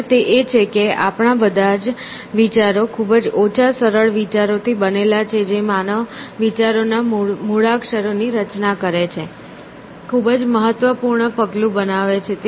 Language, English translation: Gujarati, And, they are, that all our ideas are compounded from a very small number of simple ideas which form the alphabet of human thought essentially, very significant step is making essentially